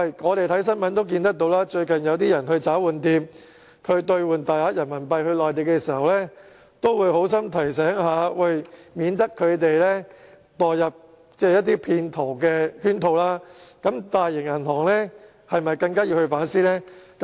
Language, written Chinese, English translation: Cantonese, 我們看新聞也看到，最近有人去找換店兌換大量人民幣到內地時，找換店職員都會好心提醒，以免他們墮入騙徒的圈套，那麼大型銀行是否更應反思呢？, We can read in the news that recently when people exchange a large amount of RMB for transmission to the Mainland staff of the money changer will remind them in order to protect the public from possible scams . Should major banks all the more not reflect on this?